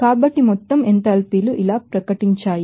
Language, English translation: Telugu, So, total enthalpies declared like this